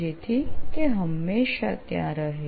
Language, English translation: Gujarati, …so that it always be there